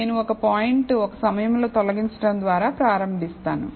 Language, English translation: Telugu, Now, I will start by removing one point at a time